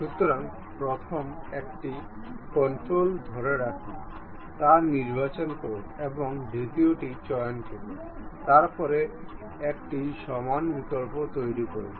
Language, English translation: Bengali, So, select that first one control hold and pick the second one; then make it equal option